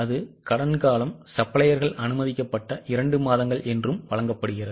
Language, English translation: Tamil, It is given that period of credit allowed by suppliers is two months